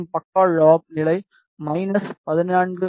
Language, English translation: Tamil, And the side lob level is minus17